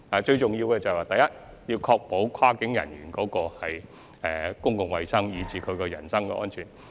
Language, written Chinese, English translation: Cantonese, 最重要的是，第一，必須確保跨境人員的公共衞生及人身安全。, Most importantly first the public health and personal safety of cross - boundary workers must be ensured